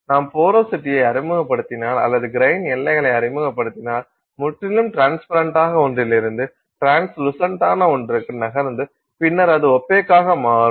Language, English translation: Tamil, If you introduce fine porosity or you introduce grain boundaries, then you will move from something that is completely transparent to something that is translucent and then eventually it becomes opaque